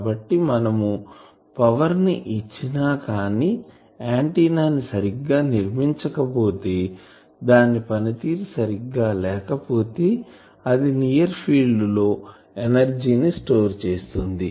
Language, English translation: Telugu, So, you are giving power, but if ready antenna is not properly designed, if it is inefficient the antenna it will store that energy in the near field